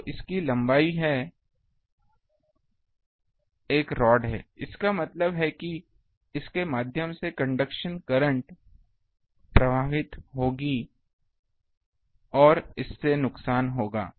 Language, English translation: Hindi, So, it has a length it has a rod; that means, through it conduction current will flow and that will put losses